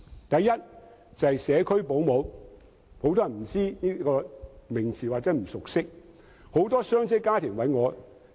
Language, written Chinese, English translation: Cantonese, 第一是社區保姆，很多人不知道或不熟悉這個名詞。, The first issue is about home - based child carers . Many people do not know or are not familiar with this term